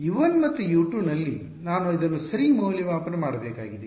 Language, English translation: Kannada, At U 1 and U 2 is where I have to evaluate this ok